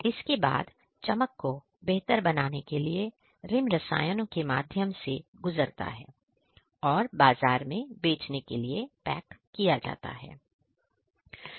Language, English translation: Hindi, After this, the rim passes through chemicals for polishing to improve the shining and packed for selling in the market